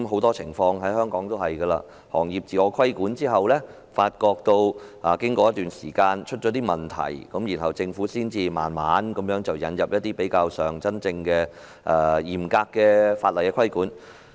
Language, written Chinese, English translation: Cantonese, 在香港，行業自我規管實施一段時間後，往往發覺出現問題，政府才逐步引入較為嚴格的法例規管。, In Hong Kong problems are often found after implementing trade self - regulation for a certain period of time and by then the Government will gradually introduce stricter legislative regulation